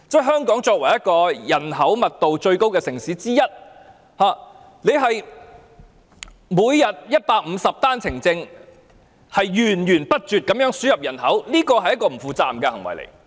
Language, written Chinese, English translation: Cantonese, 香港作為一個人口密度最高的城市之一，每天有150名持單程證人士入境，源源不絕地輸入人口，這是不負責任的行為。, As Hong Kong is one of the most densely populated cities it is irresponsible to allow 150 One - way Permit holders to come in every day and create a never - ending inflow of population